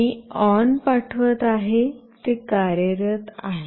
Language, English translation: Marathi, I am sending ON, it is working